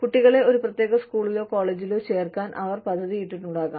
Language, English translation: Malayalam, They may have made plans, to put their children, in a particular school or college